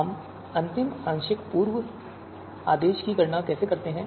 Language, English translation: Hindi, How do we you know determine the final partial pre order